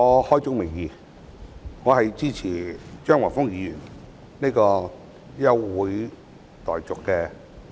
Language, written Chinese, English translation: Cantonese, 開宗明義，我支持張華峰議員這項休會待續議案。, For starters let me come straight to the point that I support this adjournment motion proposed by Mr Christopher CHEUNG